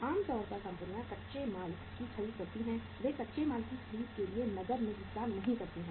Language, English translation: Hindi, Normally companies purchase the raw material, they do not pay in cash for the purchase of raw material